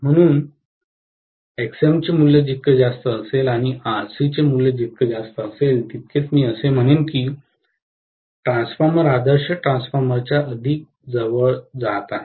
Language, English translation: Marathi, So, higher the value of Xm and higher the value of Rc, I would say that the transformer is getting closer and closer towards the ideal transformer